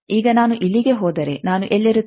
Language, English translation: Kannada, Now, if I move here then I will be where